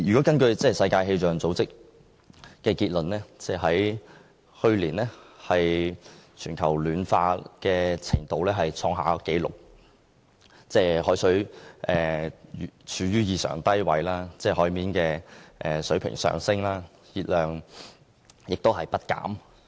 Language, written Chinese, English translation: Cantonese, 根據世界氣象組織的資料，去年全球暖化的程度創下紀錄，海冰處於異常低位，海平面上升，海洋熱量亦不減。, According to the World Meteorological Organization WMO last year made history with a record global temperature exceptionally low sea ice and unabated sea level rise and ocean heat